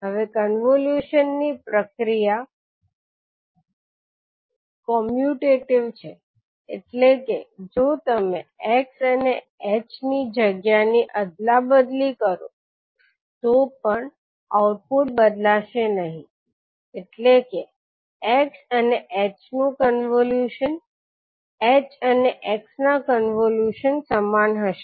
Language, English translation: Gujarati, Now the convolution process is commutative, that means if you interchange the positions of x and h, the output is not going to change that means convolution of x and h will be same as convolution of h and x